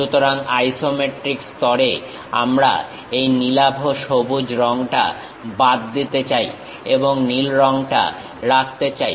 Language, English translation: Bengali, So, at isometric level we want to remove this cyan color and retain the blue color